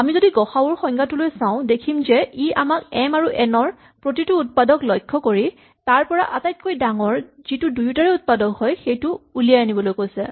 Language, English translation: Assamese, But if we just look at the definition of gcd it says look at all the factors of m, look at all the factor of n and find the largest one which is the factor of both